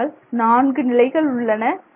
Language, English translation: Tamil, So, these are the four conditions